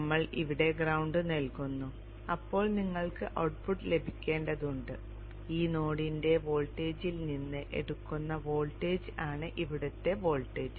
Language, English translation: Malayalam, You give the ground here then you will have to get the output voltage you will have to take voltage of this minus the voltage of this node